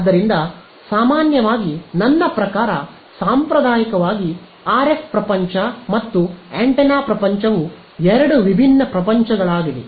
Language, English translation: Kannada, So, normally I mean traditionally what has the RF world and the antenna world are two different worlds right